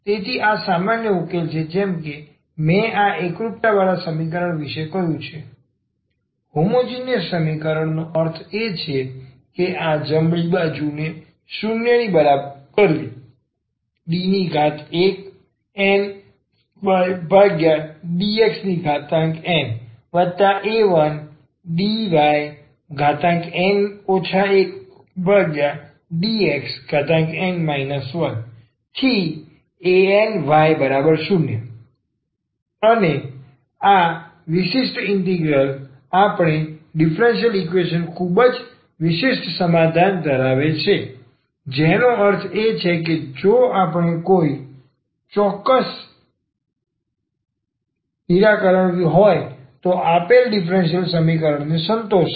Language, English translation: Gujarati, So, this is the general solution as I said of this homogeneous equation; homogeneous equation means this setting this right hand side equal to 0 and the particular integral will have a very particular solution of the given differential equations meaning that if a is any particular solution then this will satisfy the given differential equation